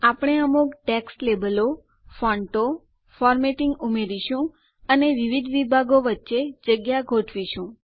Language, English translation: Gujarati, We will add some text labels, fonts, formatting and adjust the spacing among the various sections